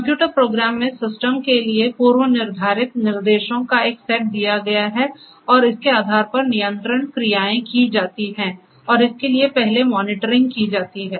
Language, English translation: Hindi, So, the computer program has you know a predefined set of instructions is provided to the system and based on that the control actions are taken and for that first the monitoring will have to be performed